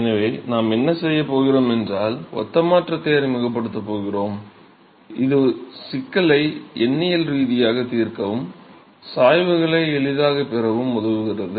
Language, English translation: Tamil, So, what we going to do is we are going to introduce similarity transformation it just helps in solving the problem numerically and also to get the gradients in an easy fashion